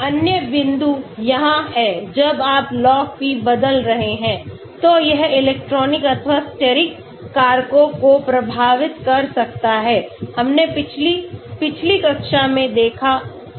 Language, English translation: Hindi, Another point is when you are changing Log P, it may affect electronic or steric factors, we saw in the previous, previous classes